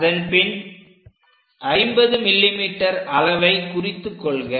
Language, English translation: Tamil, Then 50 mm, we have to locate it